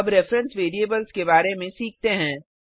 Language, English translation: Hindi, Now let us learn about reference variables